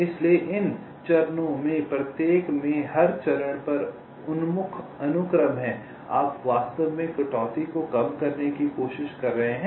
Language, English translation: Hindi, so so each of these cut oriented sequences, at every step, you are actually trying to minimize the cutsize